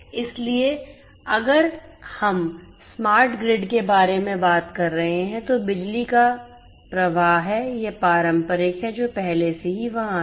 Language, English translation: Hindi, So, if we are talking about the smart grid, there is power flow that has that is traditional that has been there already so power flow